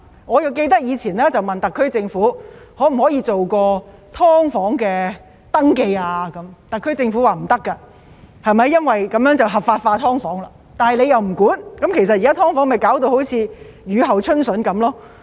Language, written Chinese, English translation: Cantonese, 我記得以前曾詢問特區政府，可否進行"劏房"登記，特區政府表示不可以，因為這樣會將"劏房"合法化，但政府卻沒有規管，現在弄致"劏房"好像雨後春筍一樣。, I remember that I once asked the SAR Government whether it would be possible to conduct an SDU registration . The SAR Government said no because that would be tantamount to legalizing SDUs . But as the Government did not regulate SDUs their number sprang up